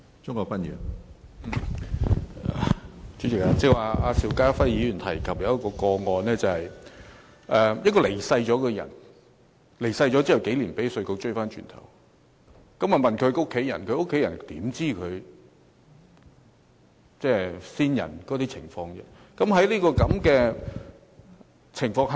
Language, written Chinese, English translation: Cantonese, 主席，邵家輝議員剛才提及一宗個案，某人已離世數年，卻被稅務局追收稅款，稅務局查問他的家人，他們怎會知道先人的財政狀況呢？, President Mr SHIU Ka - fai just now mentioned a case in which IRD sought to collect taxes from a person who died years ago and IRD made inquiries with his family members . How would they know the financial position of the deceased?